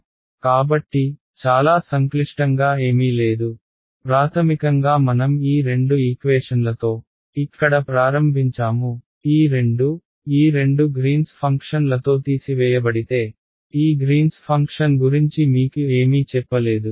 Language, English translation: Telugu, So, nothing very complicated we basically took our we started with our two equations over here these two guys, subtracted with these two greens functions I have not told you anything about these greens function